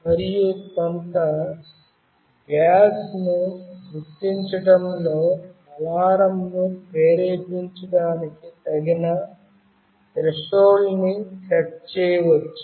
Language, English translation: Telugu, And a suitable threshold can be set to trigger the alarm on detecting some gas